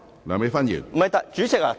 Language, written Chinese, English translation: Cantonese, 梁美芬議員，請發言。, Dr Priscilla LEUNG please speak